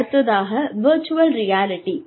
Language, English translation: Tamil, And, that is virtual reality training